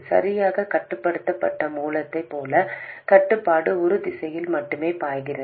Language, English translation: Tamil, Exactly like a control source where control flows only in one direction